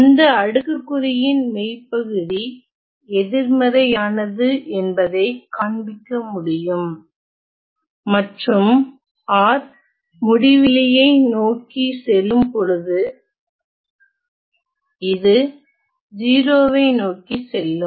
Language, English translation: Tamil, It can be shown that the real part of that exponential is negative and when we take r tending to infinity then this goes to 0